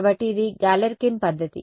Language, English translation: Telugu, So, it is Galerkin’s method